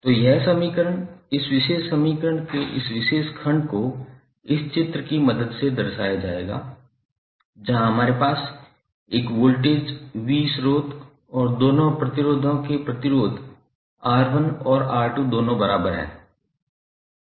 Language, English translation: Hindi, So this equation, this particular segment of the this particular equation will be represented with the help of this figure, where we have a v voltage source and the equivalent resistor of both of the resistors both R¬1 ¬ and R¬2¬